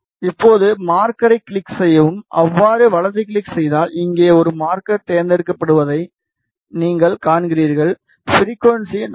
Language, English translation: Tamil, Now, you see that a marker is added over here if you right click add marker click on it, you will see that the frequency is 4